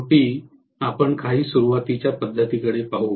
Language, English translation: Marathi, Finally, we will look at some starting methods